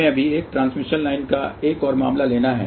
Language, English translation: Hindi, Let us just take now another case of a transmission line